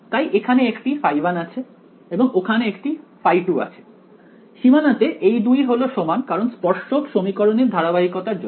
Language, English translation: Bengali, So, there is a phi 1 here and there is a phi 2 here, the 2 on the boundary are the same because continuity of tangential equations right